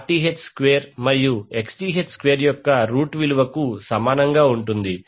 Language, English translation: Telugu, RL would be equal to under root of Rth square plus Xth square